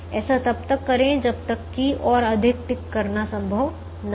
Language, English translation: Hindi, do this till no more ticking is possible